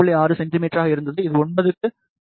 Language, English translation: Tamil, 6 centimeter for 13 it is 11